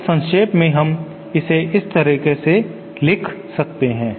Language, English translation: Hindi, So in summary we can write it like this